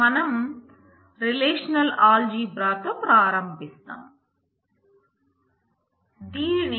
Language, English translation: Telugu, So, we start with the relational algebra in the relational algebra